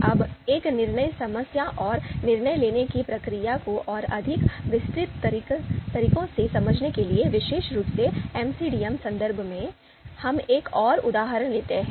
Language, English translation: Hindi, Now to understand a decision problem and decision making process in a more detailed manner, specifically in MCDM context, the context of this course, let’s take another example